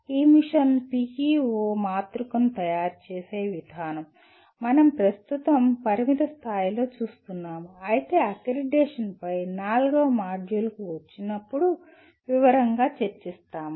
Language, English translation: Telugu, The mechanics of preparing this Mission PEO matrix while we see in a limited extent in the presently but more elaborately when we come to the fourth module on accreditation